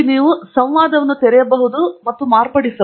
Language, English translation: Kannada, You open the dialog here and modify